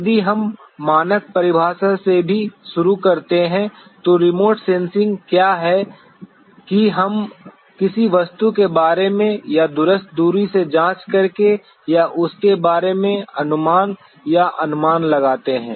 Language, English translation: Hindi, If we even start from the standard definition what remote sensing is that we make impressions or idea or estimation about any object or by examining it from a remote distance